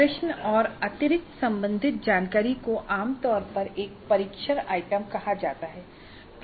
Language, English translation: Hindi, Questions plus additional related information is generally called as a test item or item